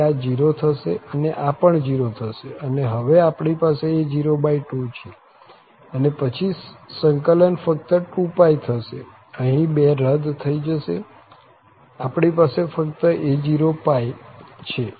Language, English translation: Gujarati, So, this is going to be 0, and this is also going to be 0 and what we have here now, a0 by 2 and then the integral will be just 2 pi, so 2 get cancel here, we have a simply a0 pi